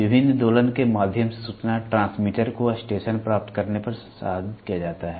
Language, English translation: Hindi, The information transmitter through various oscillators is processed at receiving station